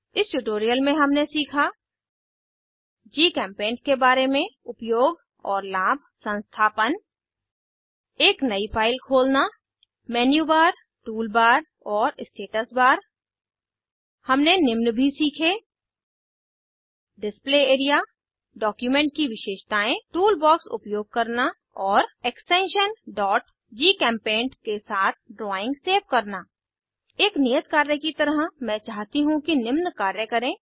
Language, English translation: Hindi, In this tutorial we have learnt, About GChemPaint Uses and Benefits Installation Open a new file Menubar, Toolbar and Status bar We have also learnt about Display area Document Properties Using tool box and Save the drawing with extension .gchempaint As an assignment I would like you to 1